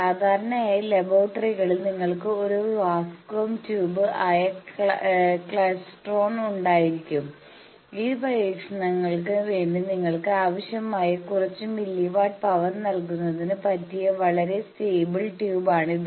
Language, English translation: Malayalam, Generally in laboratories you can have a klystron which is a vacuum tube it is a very stable tube for giving you some milli watts of power that is required in due to this experiments